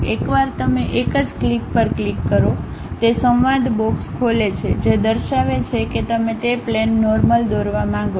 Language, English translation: Gujarati, Once you click that a single click, it opens a dialog box showing something would you like to draw normal to that plane